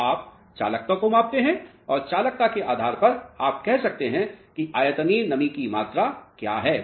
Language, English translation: Hindi, So, you measure the conductivity and depending upon the conductivity you can say what is the volumetric moisture content